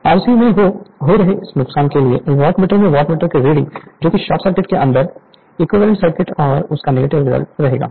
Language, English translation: Hindi, This this loss in the R c we actually we will neglect right watt[meter] in the Wattmeter reading that equivalent circuit under short circuit condition